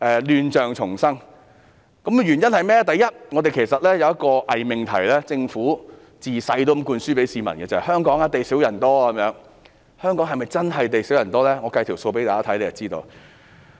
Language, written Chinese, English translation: Cantonese, 亂象叢生有以下原因：第一，其實香港一直存在一個偽命題，政府向市民從小灌輸香港地少人多這個概念。, The chaotic situation is due to the following reasons . First a false proposition has all along existed in Hong Kong . Since childhood we have been told by the Government that Hong Kong is a place with a scarcity of land but a large population